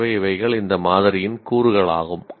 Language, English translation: Tamil, So, these are the elements of this sample